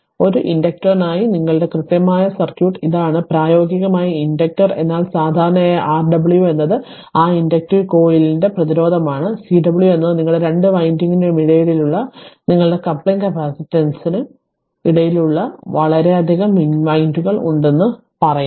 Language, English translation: Malayalam, So, it is the it is that your what you call exact circuit for an inductor right; practically inductor, but generally R w is the resistance of that coil inductive coil and Cw is that your capacitance in between that your coupling capacitance between the your what you call 2 winding say so many windings are there